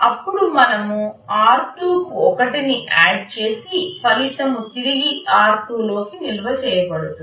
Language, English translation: Telugu, Then we are adding r2 to 1 and the result is stored back into r2